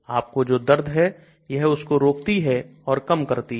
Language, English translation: Hindi, It prevents, it reduces the pain which you have